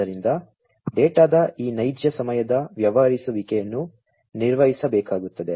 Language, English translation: Kannada, So, this real time dealing of the data will have to be performed